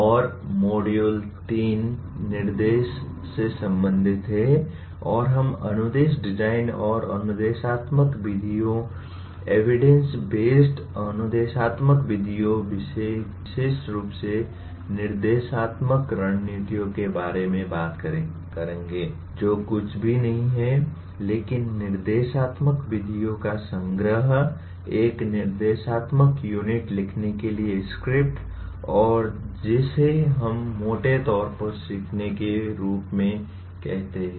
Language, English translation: Hindi, And module 3 is related to “instruction” and we will talk about instruction design and instructional methods, evidence based instructional methods particularly instructional strategies which are nothing but a collection of instructional methods, script for writing an instructional unit and what we broadly call as learning design and then also look at instruction for projects and presentations